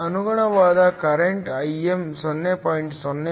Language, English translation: Kannada, The corresponding current Im is 0